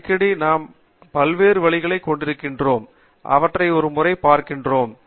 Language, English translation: Tamil, So, very often we have various ways and I am going to look at them in one by one